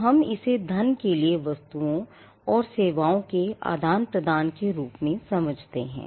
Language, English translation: Hindi, So, we understand it as an exchange, of goods and services for money or consideration